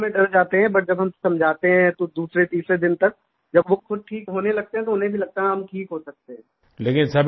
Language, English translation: Hindi, Initially, they are scared, but when we have counselled and by the second or third day when they start recovering, they also start believing that they can be cured